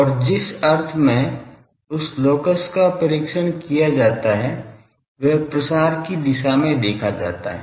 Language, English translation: Hindi, And the sense in which that locus is test as observed along the direction of propagation